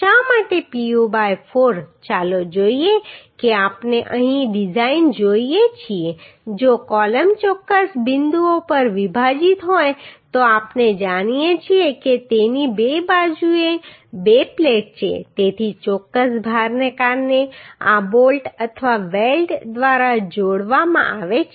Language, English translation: Gujarati, Why Pu by 4 let us see uhh if we see here design if columns are spliced at a at a certain points then we know this has two plate right in two sides so these are to be connected by the bolts or welds due to certain load